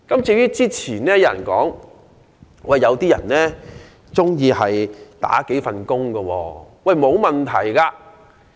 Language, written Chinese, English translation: Cantonese, 至於較早前有人說，有導遊喜歡身兼數份工作，這也沒有問題。, As mentioned by some Members earlier there are tourist guides who love to take several jobs at the same time